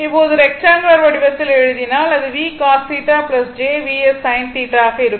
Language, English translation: Tamil, Now, in rectangular form, if you write it will be v cos theta plus j v sin theta, right